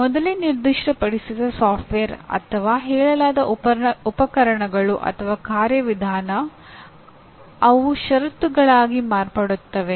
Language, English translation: Kannada, So pre specified software or the stated equipment or a procedure, they become conditions